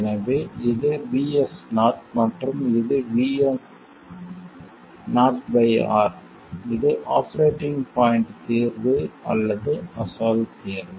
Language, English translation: Tamil, So this is Vs 0 and this is Vs 0 by R and this is the operating point solution or the original solution